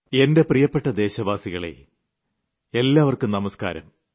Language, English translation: Malayalam, My dear countrymen, my greetings namaskar to you all